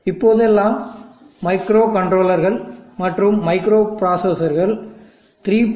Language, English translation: Tamil, And nowadays microcontrollers and microprocessors have 3